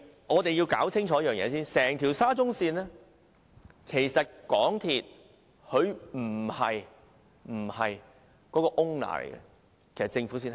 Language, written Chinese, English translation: Cantonese, 我們要先清楚一件事，沙中線整項工程，出資的不是港鐵公司，而是政府。, We must first get one point clear . The SCL project is not financed by MTRCL but by the Government